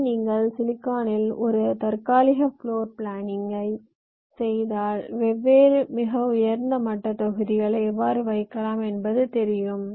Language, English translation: Tamil, so you do a tentative floor plan on the silicon, how you will be placing the different very high level modules here